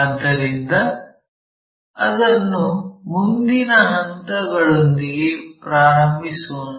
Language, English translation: Kannada, So, let us begin that with the following steps